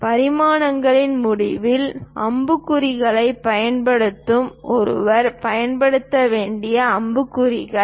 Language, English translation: Tamil, Use arrow heads at the end of the dimensions, arrow heads one has to use